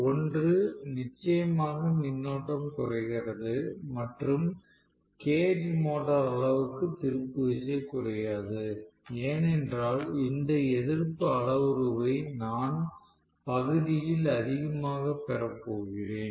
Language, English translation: Tamil, One is definitely the current comes down, no doubt, and torque does not get as reduced as in the case of cage motor because I am going to have this resistance parameter even coming up in the numerator right